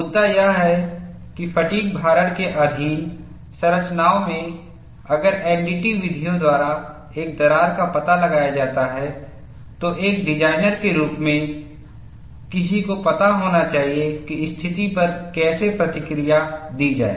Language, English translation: Hindi, The issue is, in structures subjected to fatigue loading, if a crack is detected by NDT methods, as a designer one should know how to react to the situation